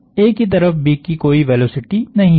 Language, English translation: Hindi, There is no velocity of B towards A